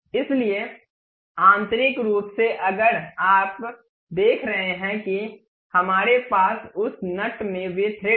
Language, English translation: Hindi, So, internally if you are seeing we have those threads in that nut